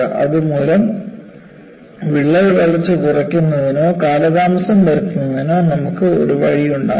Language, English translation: Malayalam, So, you have a via media to minimize or delay the crack growth